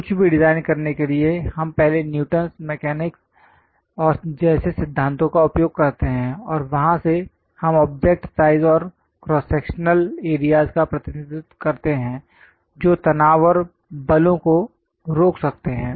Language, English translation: Hindi, To design anything, we use first principles like Newton mechanics, and from there we represent object size, cross sectional areas which can withhold the stresses and forces